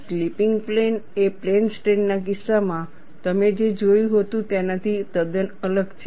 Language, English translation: Gujarati, The slipping plane is quite different from what you had seen in the case of plane strain